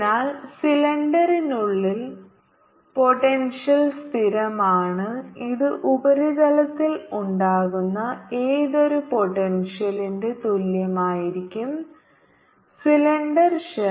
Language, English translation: Malayalam, so inside the cylinder potential is constant and which is would be equal to whatever potential would be on the surface of the cylindrical shell